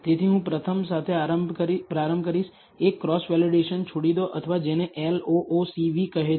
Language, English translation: Gujarati, So, I will first start with, leave one out cross validation or what is called LOOCV